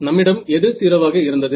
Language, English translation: Tamil, We had what as 0